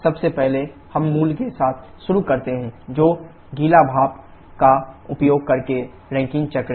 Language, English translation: Hindi, First, we start with the basic one which is the Rankine cycle using wet steam